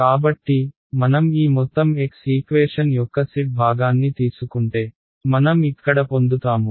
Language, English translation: Telugu, So, if I take the z component of this entire x equation that is what I will get over here